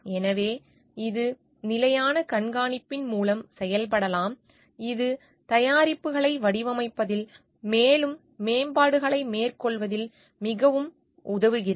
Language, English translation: Tamil, So, constant monitoring and this can be done through constant monitoring which can help to great deal in carrying out further improvements in designing the products